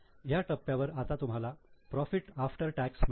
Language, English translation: Marathi, Now at this stage you get profit after tax